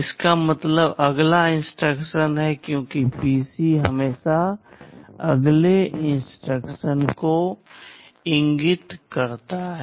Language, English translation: Hindi, This means the next instruction, because PC always points to the next instruction